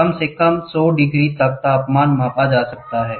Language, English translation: Hindi, The temperature as low as hundred degrees can be measured